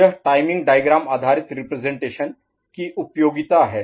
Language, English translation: Hindi, This is the usefulness of timing diagram based representation